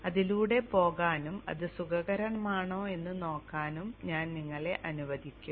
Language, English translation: Malayalam, So I will leave you to go through that and use it if you feel that it is comfortable